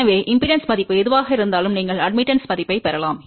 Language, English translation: Tamil, So, whatever is the impedance value, you can get the admittance value